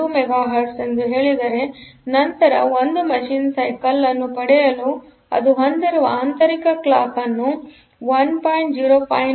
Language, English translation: Kannada, 0592 Mega Hertz; then one machine cycle is; to get a, so the internal clock that it has is 11